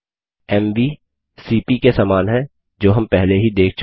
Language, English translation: Hindi, mv is very similar to cp which we have already seen